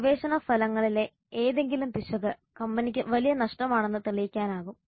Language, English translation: Malayalam, Any error in the research results can prove to be a big loss for the company